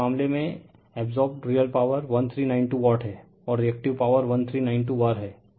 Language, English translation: Hindi, So, in this case, the real power absorbed is 1392 watt, and reactive power is 1113 var